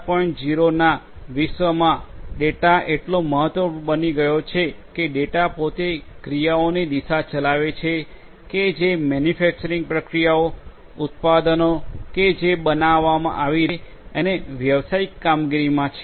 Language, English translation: Gujarati, 0 world that it is so important that data itself is driving about the course of actions that have to be taken in terms of the manufacturing processes, the products that are being made and also the business operations